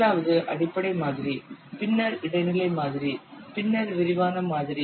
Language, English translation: Tamil, First one is the basic model, then intermediate model, then detailed model